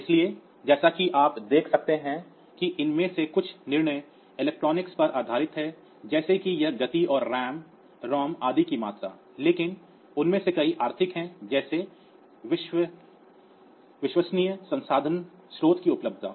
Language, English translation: Hindi, So, as you can see that some of these decisions are based on the electronics that we have like this speed amount of ROM RAM etcetera, but many of them are economic also like say availability of availability and you have reliable resource sources and all that